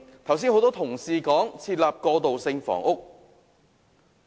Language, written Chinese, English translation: Cantonese, 剛才有多位同事談及提供過渡性房屋。, Just now many colleagues have talked about transitional housing